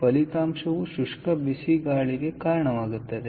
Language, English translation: Kannada, so result is results in dry hot air